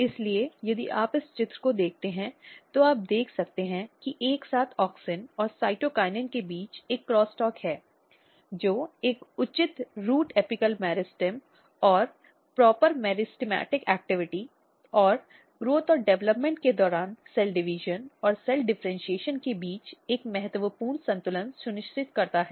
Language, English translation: Hindi, So, basically if you look in this picture, you can see that there is a cross talk between auxin and cytokinin together which ensures a proper root apical meristem and proper meristematic activity and a critical balance between cell division and cell differentiation during growth and development